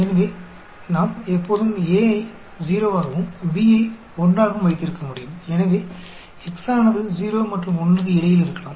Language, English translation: Tamil, So, we can always have A as 0 and B as 1, so, x may be lying between 0 and 1